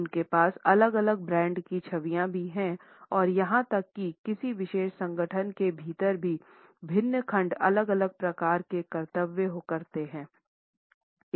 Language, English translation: Hindi, They also have different brand images and even within a particular organization we find that different segments perform different type of duties